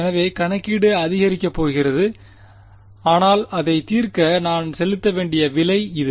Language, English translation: Tamil, So, computation is going to increase, but that is a price that I have to pay for solving this